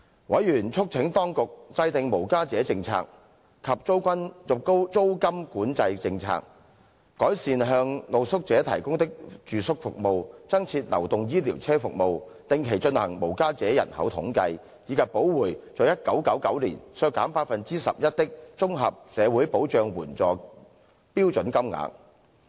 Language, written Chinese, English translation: Cantonese, 委員促請當局制訂無家者政策及租金管制政策、改善向露宿者提供的住宿服務、增設流動醫療車服務、定期進行無家者人口統計，以及補回在1999年削減的 11% 綜合社會保障援助標準金額。, Members called on the Government to draw up policies for the homeless and policies on rental control enhance housing services provided to street sleepers introduce services of mobile dispensaries conduct homeless street counts on a regular basis and make up for the 11 % cut in the standard rates of Comprehensive Social Security Assistance in 1999